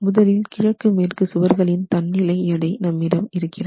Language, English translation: Tamil, So, now you have the self weight of the east west walls, so part weight of the east west walls